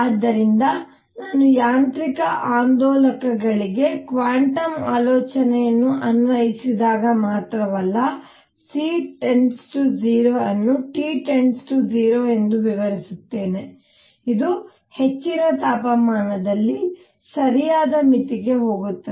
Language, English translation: Kannada, So, not only when I apply quantum ideas to mechanical oscillators, I explain that C goes to 0 as T goes to 0, it also goes to the correct limit in high temperature